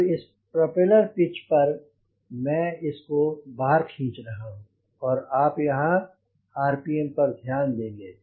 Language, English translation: Hindi, so i am pulling this on this propeller pitch and you watch the rpm here